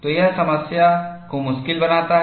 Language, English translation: Hindi, So, that makes the problem difficult